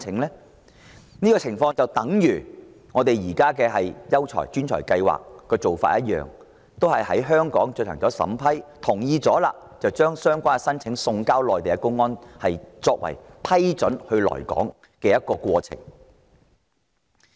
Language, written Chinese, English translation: Cantonese, 這種做法類似本港現時吸引優才、專才的計劃，都是由香港政府審批申請並同意後，才把相關申請送交內地公安，完成批准申請人來港的程序。, This is similar to the existing schemes for attracting quality migrants or professionals to Hong Kong in which applications are vetted approved and agreed upon by the Hong Kong Government and then sent to the public security authorities of the Mainland which will complete the approval process for applicants to come to Hong Kong